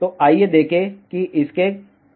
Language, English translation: Hindi, So, let us see what are the reasons for that